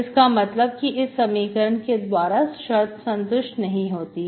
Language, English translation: Hindi, That means the condition is not satisfied